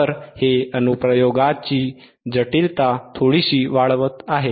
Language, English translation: Marathi, So, this is little bit increasing the complexity of the application